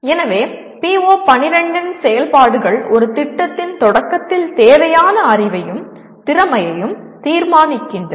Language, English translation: Tamil, So the activities of PO12 include determine the knowledge and skill needed at the beginning of a project